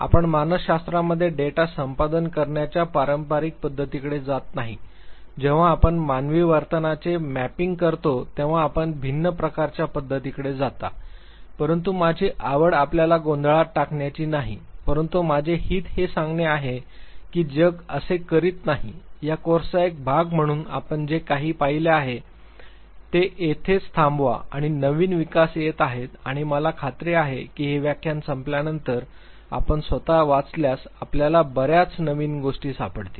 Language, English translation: Marathi, You do not go for the traditional pattern of data acquisition in psychology when you are mapping human behavior rather you go for a different type of approach, but my interest is not to confuse you, but my interest is to tell you that the world does not stop here what you have seen as part of this course there are new development that are coming up and I am sure by the time this lecture is over and if you read on your own you would find many new things that would have come up